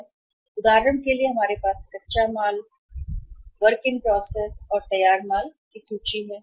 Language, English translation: Hindi, So for example we have inventory of raw material, WIP, and finished goods